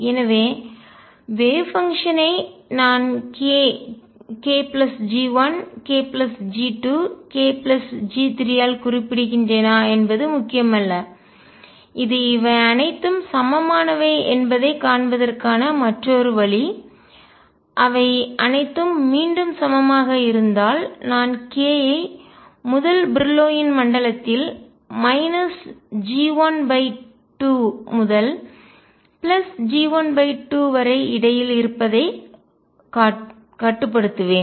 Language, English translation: Tamil, And therefore, it does not really matter whether I specify the wave function by k k plus G 1 k plus G 2 k plus G 3 it is another way of seeing that all these are equivalent if they are all equivalent again I will restrict myself to k being between minus G 1 by 2 to G 1 by 2 in the first Brillouin zone